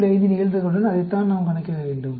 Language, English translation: Tamil, 5, that is what we need to calculate